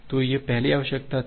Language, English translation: Hindi, So, that was the first requirement